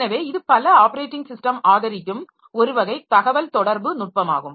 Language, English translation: Tamil, So this is one type of communication mechanism that many operating systems do support